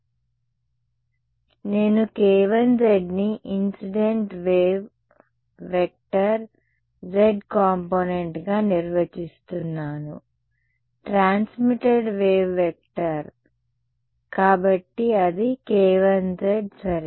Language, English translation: Telugu, k 1 z is the incident waves z component of the I mean, the z component of the incident wave vector, that is over here